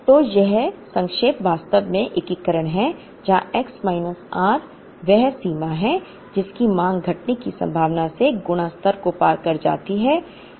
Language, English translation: Hindi, So, that summation is actually the integration here x minus r is the extent to which the demand exceeds the reorder level multiplied by the probability of occurrence